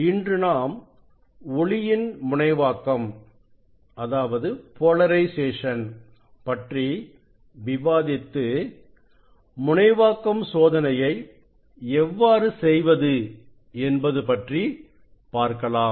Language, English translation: Tamil, today we will discuss about the polarization of light and we demonstrate some experiments on polarization